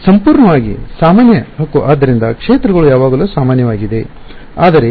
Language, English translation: Kannada, Purely normal right so, the fields are always normal, but